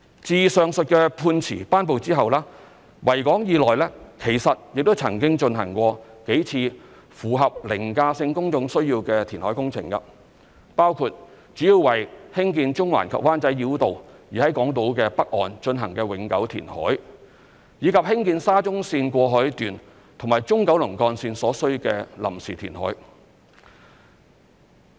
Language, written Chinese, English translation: Cantonese, 自上述判詞頒布後，維港以內其實亦曾經進行過數次符合"凌駕性公眾需要"的填海工程，包括主要為興建中環及灣仔繞道而在港島北岸進行的永久填海，以及興建沙田至中環綫過海段和中九龍幹線所需的臨時填海。, After the delivery of the said judgment several reclamation projects that satisfy the overriding public need test have been undertaken in the Victoria Harbour including permanent reclamation along the northern shore of the Hong Kong Island mainly for the construction of the Central - Wan Chai Bypass and temporary reclamation for the construction of the Cross Harbour Section of the Shatin to Central Link and the Central Kowloon Route